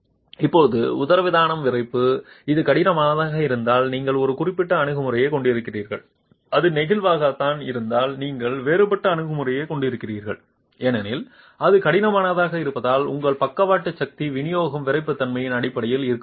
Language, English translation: Tamil, Now this diaphragm stiffness if it is rigid you have a certain approach if it is flexible you have a different approach simply because if it is rigid your lateral force distribution is going to be based on the stiffnesses